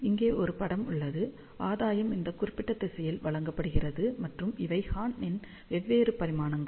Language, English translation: Tamil, So, here is the plot gain is given along this particular direction, and these are the different dimensions of the horn